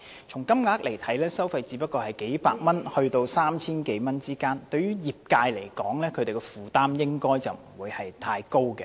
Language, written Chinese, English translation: Cantonese, 從金額來看，收費只是數百元至 3,000 多元之間，對業界的負擔應該不會太大。, The amount of fees ranges from a few hundred dollars to 3,000 - odd only which should not impose a burden on the industry